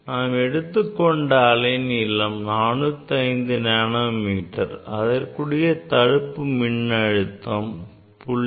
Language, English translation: Tamil, this next wavelength is 405 nanometer and stopping voltage is 0